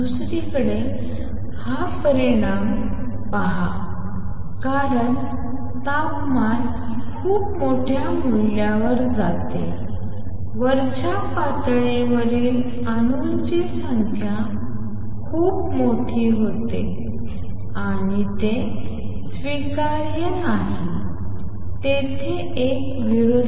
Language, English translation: Marathi, On the other hand, look at this result as temperature goes to very large value the number of atoms in the upper state become very very large and that is not acceptable there is a contradiction